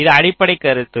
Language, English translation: Tamil, so what is the basic idea